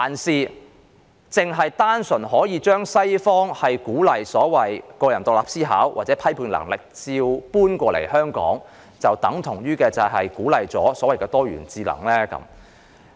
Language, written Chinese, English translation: Cantonese, 是否單純把西方鼓勵個人獨立思考或批判能力的一套照搬過來香港，便等於支持多元智能理念？, Is simply copying the western practice of encouraging independent thinking or critical ability tantamount to supporting the concept of multiple intelligences?